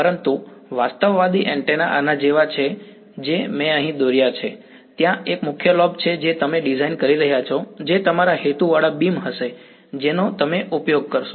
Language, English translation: Gujarati, But, realistic antennas are more like this what I have drawn over here, there is one main lobe that you are designing, which is going to be your intended beam that you will use